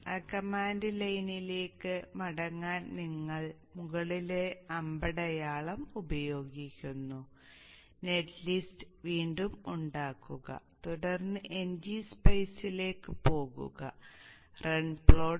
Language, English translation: Malayalam, So go back to this one you use the up arrow to get back to that command line generate the net list again then go into NG Spice, run, plot